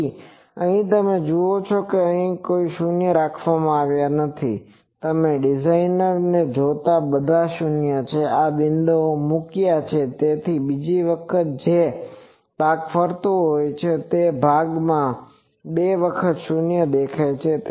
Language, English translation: Gujarati, So, here you see that no 0s are kept here so, the all the 0s you see the designer has placed in these points so that the second time the portion that is circling that is seeing a twice 0